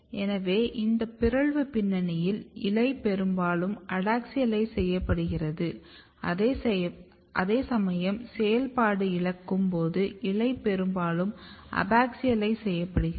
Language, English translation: Tamil, So, in this mutant background you can see that leaf is mostly adaxialized whereas, in loss of function the leaf is mostly abaxialized